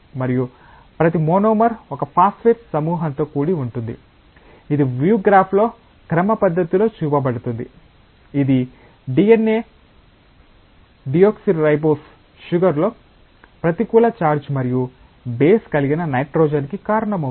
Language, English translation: Telugu, And each monomer is composed of a phosphate group, which is schematically shown in the view graph which is responsible for a negative charge in the DNA deoxyribose sugar and a nitrogen containing base